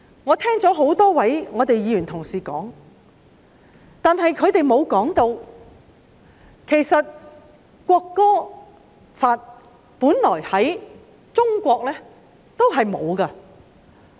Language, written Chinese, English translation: Cantonese, 我聽了多位議員同事的發言，他們並沒有指出中國本來並沒有訂立國歌法。, I have listened to the speeches made by a number of Honourable colleagues but no one pointed out that China originally did not enact the national anthem law